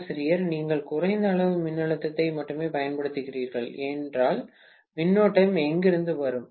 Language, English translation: Tamil, If you are applying only less amount of voltage, where will the current come from